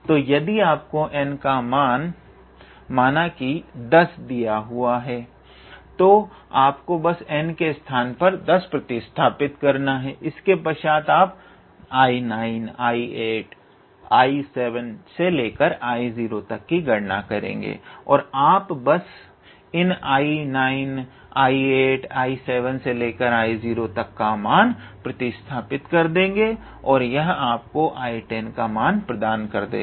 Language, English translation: Hindi, So, if you are given n equals to let us say n equals to 10 then you just have to substitute n equal to 10 here and then you keep on calculating I 9, I 8, I 7, up to I 0 and you just substitute the value of I 9, I 8, I 7 up to I 0 and that will give you the value of I 10 basically So, this is one such reduction formula